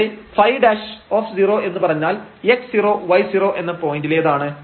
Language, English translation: Malayalam, So, up to this one if we write down at this x 0 y 0 point